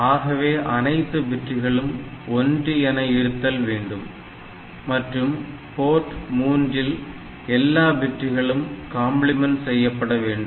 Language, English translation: Tamil, So, all these bits should be 1 and for Port 3 all bits are complemented